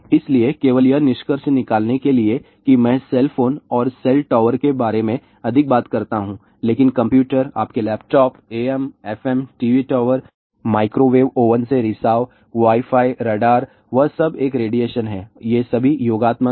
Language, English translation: Hindi, So, just to conclude I just talk more about cell phone and cell tower, but there is a RF radiation from computers, your laptops, AM, FM, TV tower , leakage from microwave oven, Wi Fi, radars and all that all these are additive